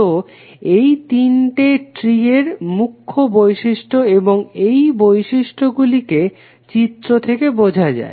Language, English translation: Bengali, So these are the three major properties of tree and let us understand this property from this figure